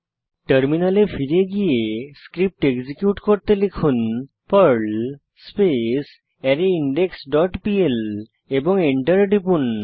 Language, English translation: Bengali, Now switch to terminal and execute the Perl script Type perl arrayIndex dot pl and press Enter